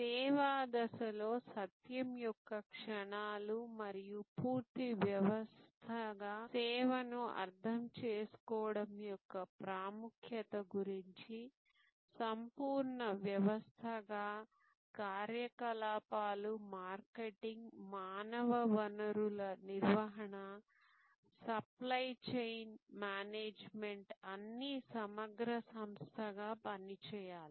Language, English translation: Telugu, In the service stage we talked about the moments of truth and the importance of understanding service as a complete system, as a seem less system, where operations, marketing, human resource management, supply chain management have to all work as an integrated entity